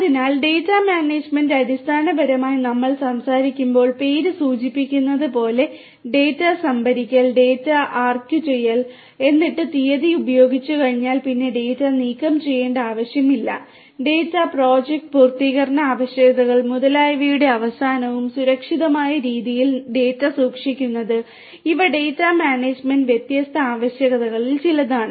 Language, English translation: Malayalam, So, data management basically when we are talking about as the name suggest as the term suggest focuses on different attributes such as storing the data, archiving the data, then once the date has been used and is no longer required disposing of the data, securing the data, keeping the data in a safe manner secured manner at the end of the project completion requirements etcetera, these are some of the different requirements of data management